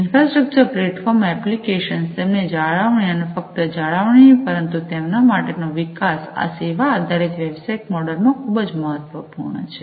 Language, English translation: Gujarati, The infrastructure, the platforms, the applications, the maintenance of them and not only maintenance, but for the development; these are very important in the service oriented business model